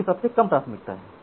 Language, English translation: Hindi, So, this is the least priority